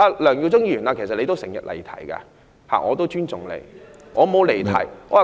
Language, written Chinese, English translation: Cantonese, 梁耀忠議員，其實你亦經常離題，但我也尊重你。, Mr LEUNG Yiu - chung actually you always digress in your speech but I respect you